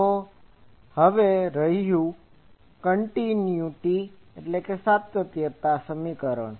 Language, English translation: Gujarati, So, now, continuity equation holds